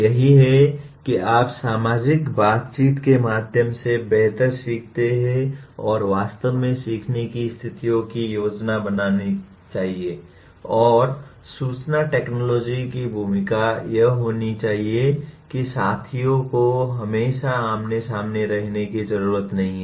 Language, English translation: Hindi, That is you learn better through social interactions and one should actually plan the learning situations like that and the role of information technology is that the peers need not be always face to face